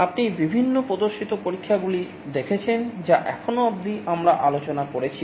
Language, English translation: Bengali, You have seen through the various demonstration experiments that we have discussed so far